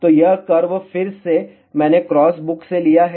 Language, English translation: Hindi, So, this curve again I have taken from the cross book